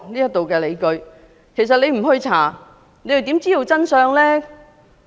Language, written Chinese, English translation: Cantonese, 如不進行調查，又如何知道真相呢？, How can the truth come to light without an inquiry?